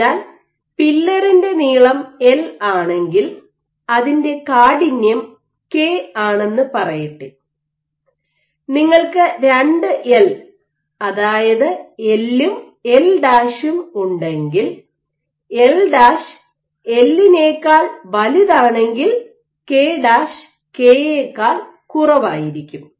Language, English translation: Malayalam, So, if the pillar is L and let us say its stiffness is K, if you have 2L if you have L prime by L prime is greater than L then K prime is going to be less than K